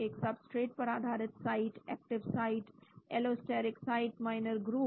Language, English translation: Hindi, A substrate based site, active site, allosteric site, minor groove